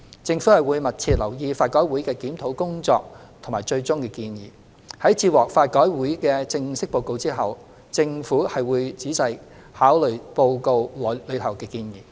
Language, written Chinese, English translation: Cantonese, 政府會密切留意法改會的檢討工作和最終建議。在接獲法改會的正式報告後，政府定會細心考慮報告內的建議。, The Government will keep in view closely LRCs review and its final recommendations and upon receipt of its final report carefully consider the recommendations therein